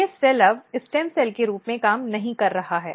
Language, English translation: Hindi, These cells are no longer working as a stem cells